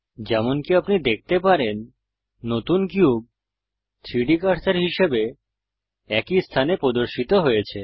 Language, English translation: Bengali, As you can see, the new cube has appeared on the same location as the 3D cursor